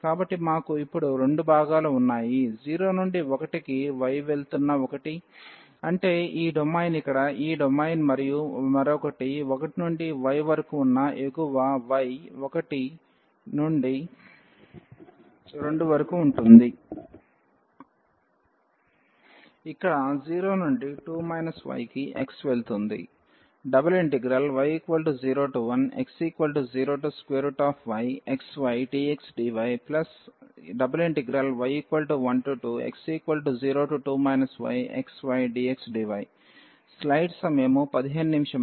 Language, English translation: Telugu, So, we have the 2 parts now; one where y is going from 0 to 1; that means, this domain here this domain and the other one the upper one where y is from 1 to y is from 1 to 2 where the x is going from 0 to 2 minus y